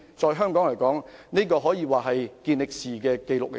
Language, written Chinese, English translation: Cantonese, 對於香港來說，這可說是一項健力士紀錄。, Hong Kong has indeed set a Guinness world record